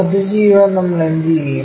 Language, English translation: Malayalam, To do that what we will do